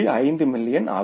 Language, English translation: Tamil, It is 7 million